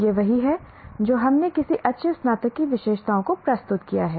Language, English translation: Hindi, This is what we presented the characteristics of any good graduate